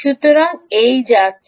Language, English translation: Bengali, so what is this